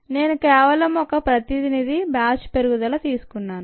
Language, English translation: Telugu, i just took one representative batch growth